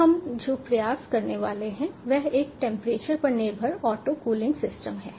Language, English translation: Hindi, now what we are about to attempt is a temperature dependent auto cooling system